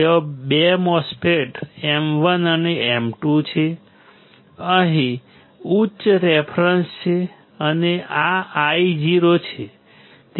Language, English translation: Gujarati, There are 2 MOSFETs M 1 and M 2, there is a high reference here and this is Io